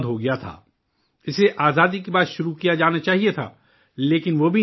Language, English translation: Urdu, It should have been started after independence, but that too could not happen